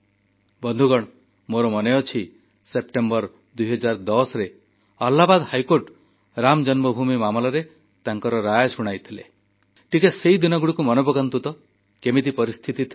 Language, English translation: Odia, Friends, I remember when the Allahabad High Court gave its verdict on Ram Janmabhoomi in September 2010